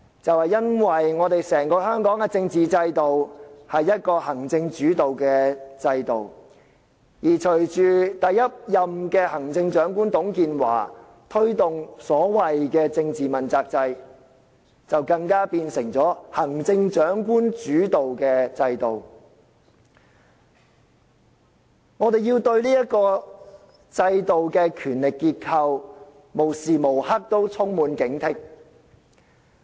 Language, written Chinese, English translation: Cantonese, 就是因為香港的政治制度是行政主導的制度，而隨着第一任行政長官董建華推動所謂政治問責制，就更變成了行政長官主導的制度。我們要對這制度的權力結構無時無刻都充滿警惕。, It is because the political system of Hong Kong is an executive - led system . With the introduction of the political accountability system by Mr TUNG Chee - hwa the first Chief Executive the system has even become a Chief Executive - led system and we have to stay vigilant at all times about the power structure of this system